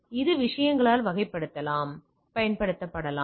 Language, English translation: Tamil, So, this can be utilized by the things